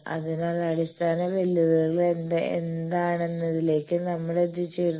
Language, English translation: Malayalam, So, with this we come to the basic what are the challenges